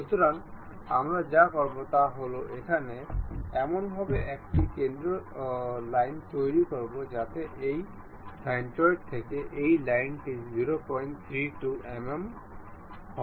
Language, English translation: Bengali, So, what we will do is construct a center line here in such a way that this line from this centroid will be of 0